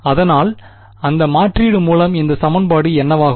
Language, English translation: Tamil, So, with that substitution what will this equation become